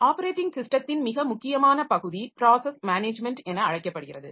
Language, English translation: Tamil, A very important part of operating system is known as the process management